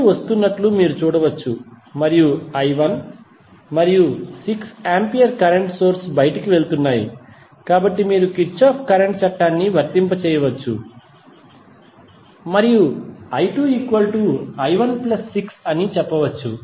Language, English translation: Telugu, You can see I 2 is coming in and i 1 and 6 ampere current source are going out, so you can simply apply Kirchhoff Current Law and say that i 2 is nothing but i 1 plus 6